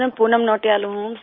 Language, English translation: Hindi, Sir, I am Poonam Nautiyal